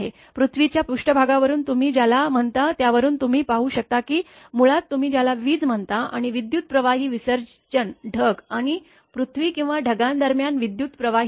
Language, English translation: Marathi, You can see from the your what you call from the earth surface that it is basically that you are what you call electricity and your high current discharge of an electrostatic your electricity accumulation between the cloud and earth or between the clouds